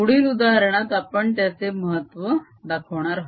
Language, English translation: Marathi, in next example we show the importance of that